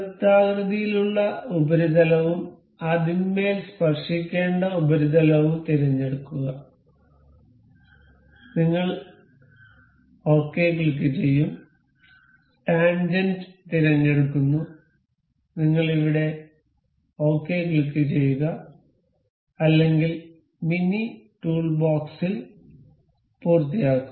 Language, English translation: Malayalam, Select the circular surface and the surface it has to be tangent upon, and we will click ok, selecting tangent, we click ok here or either in the mini toolbox, finish